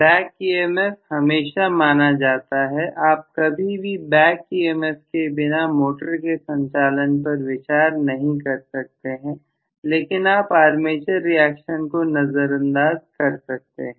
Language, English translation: Hindi, The back emf is always considered, you can never ever consider the operation of a motor without a back emf but you can very well neglect armature reaction if you feel like like what we have done right now